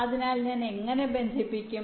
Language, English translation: Malayalam, so how do i connect